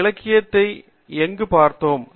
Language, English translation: Tamil, So, where do we look up this literature